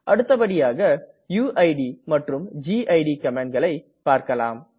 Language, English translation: Tamil, Let us now talk about the uid and gid commands